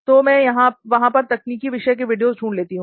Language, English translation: Hindi, So I search technical videos over there